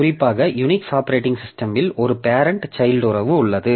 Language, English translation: Tamil, So, as we know, particularly in Unix operating system, so there is a parent child relationship